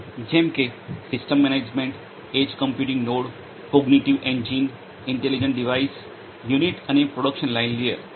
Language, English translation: Gujarati, Such as the system management, edge computing node, cognitive engine, intelligent device, unit and production line layer